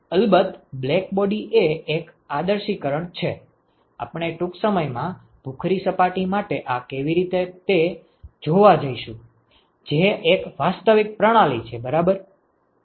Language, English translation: Gujarati, Ofcourse blackbody is an idealization, we are going to see how to do this for a gray surface in a short while, which is a real system ok